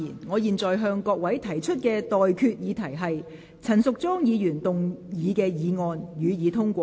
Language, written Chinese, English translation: Cantonese, 我現在向各位提出的待決議題是：陳淑莊議員動議的議案，予以通過。, I now put the question to you and that is That the motion moved by Ms Tanya CHAN be passed